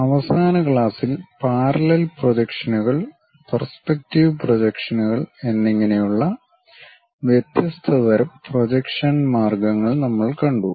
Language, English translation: Malayalam, So, in the last class, we have seen different kind of projection techniques namely the parallel projections and perspective projections